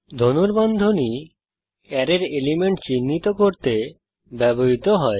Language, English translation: Bengali, The braces are used to specify the elements of the array